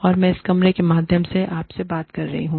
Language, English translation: Hindi, And, I am talking to you, through this camera